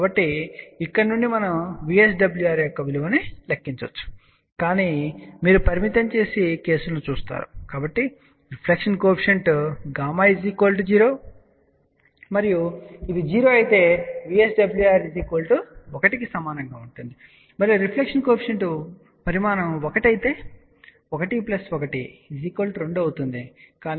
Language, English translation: Telugu, So, from here we can calculate the value of VSWR, but just you look at the limiting cases, so if reflection coefficient gamma is 0 and this is 0, VSWR will be equal to 1 and if reflection coefficient magnitude is 1 , then 1 plus 1 will be 2, but 1 minus 1 is 0